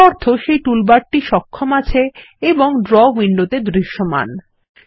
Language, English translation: Bengali, This means the toolbar is enabled and is visible in the Draw window